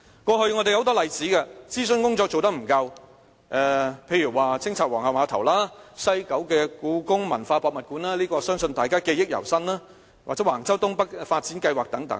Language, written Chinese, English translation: Cantonese, 過去有很多諮詢工作不足的例子，例如清拆皇后碼頭、西九香港故宮文化博物館——相信大家對此記憶猶新——又或是橫洲東北發展計劃等。, There were numerous cases of inadequate consultation such as the demolition of the Queens Pier the Hong Kong Palace Museum at West Kowloon which I think we still have a fresh memory and the Wang Chau as well as the North East New Territories developments